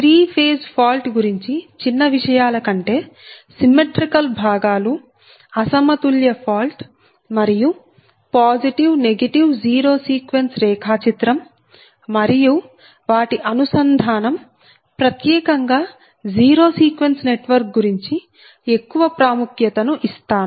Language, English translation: Telugu, so that part i, i thought i give more importance on symmetrical component and unbalanced fault right, particularly that positive, negative and zero sequence diagram and their connection, particularly the zero sequence network diagram